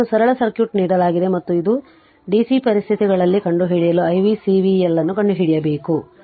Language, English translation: Kannada, So, you have this is the simple circuit is given this is and you have to find out under dc condition you have to find out i v C v L right